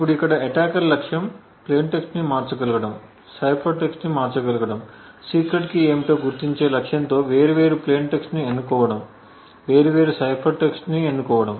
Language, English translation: Telugu, Now the goal of the attacker over here is to be able to manipulate the plain text, cipher text choose different plain text choose different cipher text with the objective of identifying what the secret key is